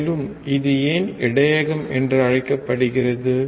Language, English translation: Tamil, Also, why it is called buffer